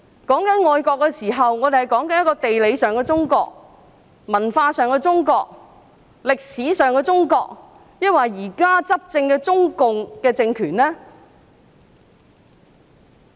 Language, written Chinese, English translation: Cantonese, 我們談到愛國的時候，究竟是指地理上的中國、文化上的中國、歷史上的中國，還是現時執政的中共政權呢？, When we talk about loving our country do we mean loving China geographically or culturally or historically or do we mean loving the CPC regime currently in power?